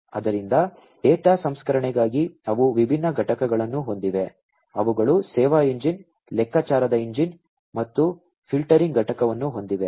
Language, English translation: Kannada, So, for data processing they have different components, they have the service engine, a calculation engine, and filtering component